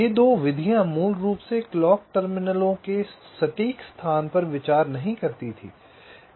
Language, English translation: Hindi, ok, these two methods basically did not consider the exact location of the clock terminals